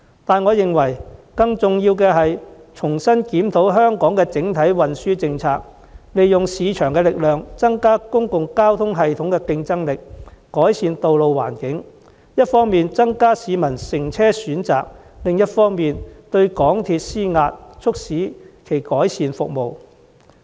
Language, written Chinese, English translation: Cantonese, 但更重要的是，政府應重新檢討香港的整體運輸政策，利用市場力量提升公共交通系統的競爭力，改善道路環境，從而一方面增加市民的乘車選擇，另一方面對港鐵公司施壓，促使其改善服務。, More importantly though the Government should review afresh the overall transport policy of Hong Kong harnessing the power of the market to boost the competitiveness of our public transport system and improve the road conditions thereby offering passengers more choices of public transport on the one hand and pressurizing MTRCL into improving its service on the other